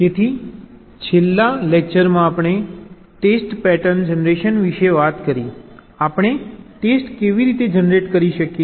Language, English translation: Gujarati, so in the last lecture we talked about test pattern generation, how we can generate tests